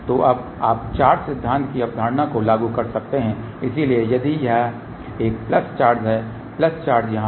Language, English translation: Hindi, So, now you can apply its concept of the charge theory, so if there is a plus charge here plus charge here